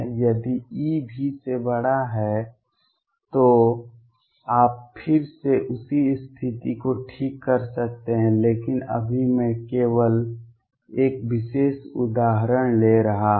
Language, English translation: Hindi, If E is greater than V you can again right the same condition, but right now am just taking one particular example